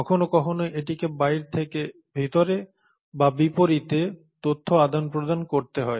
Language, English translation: Bengali, It needs to sometimes relay the information from outside to inside or vice versa